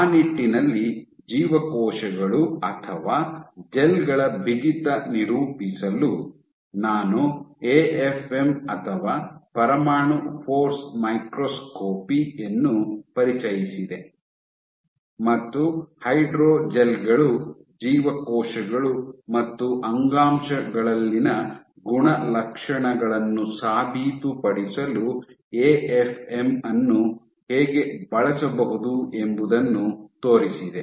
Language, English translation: Kannada, So, for characterizing the stiffness of cells or gels in that regard, I introduced AFM or atomic force microscopy and showed how AFM can be used for proving the properties of hydrogels, cells and in a tissues